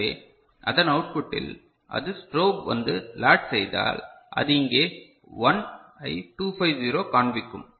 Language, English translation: Tamil, So, at the output of it, when it is, you know, strobe comes and latched it will show 1 here 2 5 0